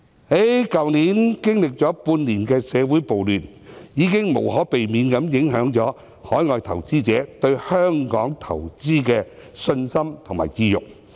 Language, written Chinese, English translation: Cantonese, 去年經歷了半年的社會暴亂，已經無可避免影響了海外投資者對香港投資的信心及意欲。, Last year riots in society which lasted for six months have inevitably affected the confidence and willingness of international investors to invest in Hong Kong